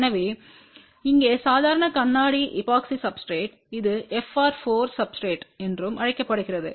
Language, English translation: Tamil, So, here normal glass epoxy substratewhich is also known as fr 4 substrate